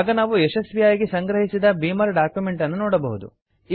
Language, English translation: Kannada, We can see that we have successfully compiled a Beamer document